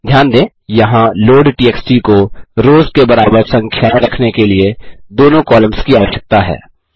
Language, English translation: Hindi, Note that here loadtxt needs both the columns to have equal number of rows